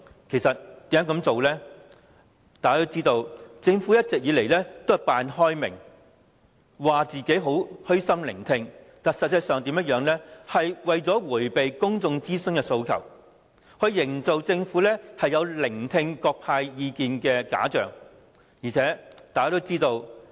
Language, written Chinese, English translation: Cantonese, 眾所周知，政府一直假裝開明，聲稱會虛心聆聽，但實際上只是為了迴避公眾諮詢的訴求，營造政府有聆聽各方意見的假象。, As we all know the Government has been pretending to be open - minded claiming that it would listen humbly to public views . However in fact the Government has simply been trying to evade the demand for public consultation by creating the facade that it has been listening to the views from various parties